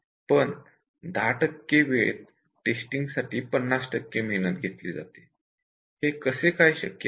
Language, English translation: Marathi, The rest of the 50 percent effort on testing is done in 10 percent of the time, how is it possible